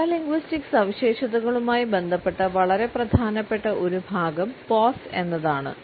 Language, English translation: Malayalam, A very important aspect which is related with our paralinguistic features is pause